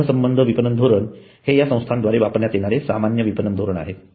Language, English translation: Marathi, Relationship marketing is the common marketing strategy in use by agencies